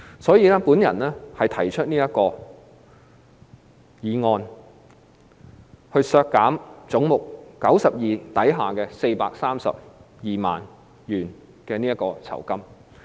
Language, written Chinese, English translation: Cantonese, 所以，我提出這項修正案，將總目92削減432萬元。, Therefore I propose this amendment to reduce head 92 by 4.32 million